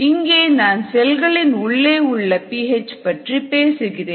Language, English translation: Tamil, we are talking of intracellular p h, p h inside the cells